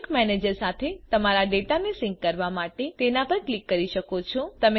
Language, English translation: Gujarati, You can click on it to sync your data with the sync manager